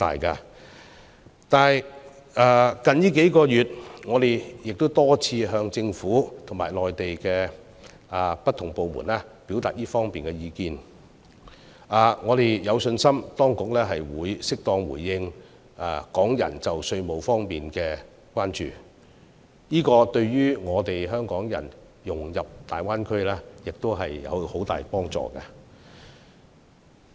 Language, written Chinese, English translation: Cantonese, 最近數月，我們多次向政府及內地不同部門表達這方面的意見，我們有信心當局會適當回應港人就稅務方面的關注，這對於香港人融入大灣區亦有很大幫助。, In recent months we have relayed our views to the Government and various departments in the Mainland on a number of occasions . We are confident that the authorities will suitably address the taxation concern of Hong Kong people . This will also help the integration of Hong Kong people in the Greater Bay Area enormously